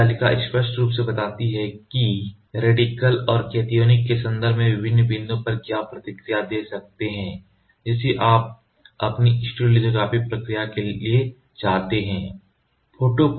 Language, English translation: Hindi, So, this table clearly states What is the response of different points in terms of radical and cationic you can choose which you want for your stereolithography process